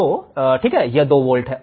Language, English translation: Hindi, So, it is 2 volts